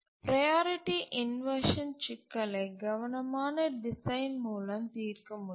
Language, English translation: Tamil, We can solve the priority inversion problem with careful design